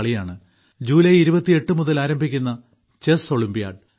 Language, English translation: Malayalam, This is the event of Chess Olympiad beginning from the 28th July